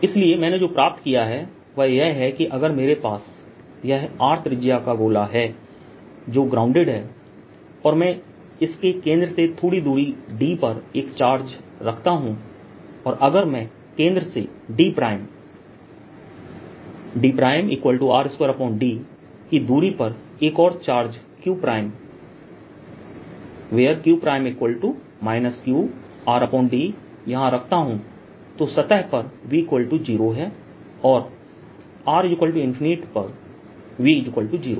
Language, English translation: Hindi, so what i have found is that if i have this sphere which is grounded, and i put a charge at a distance d from its centre, then if i put another charge here, q prime, this is q, q prime equals minus q r over d